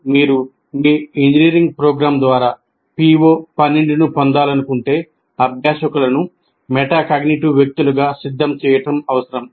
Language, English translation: Telugu, So if you want to attain PO 12 through your engineering program, it is necessary to prepare learners as metacognitive persons